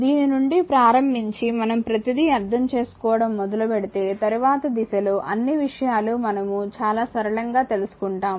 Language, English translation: Telugu, Starting from this let us will try to understand the if we start to understand everything the later stage we will find things say are things are become very simple to us